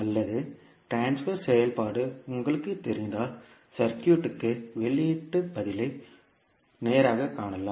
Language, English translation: Tamil, Or if you know the transfer function, you can straight away find the output response of the circuit